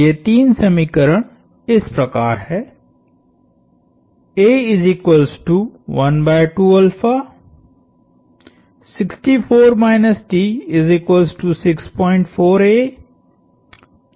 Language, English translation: Hindi, This is my equation 3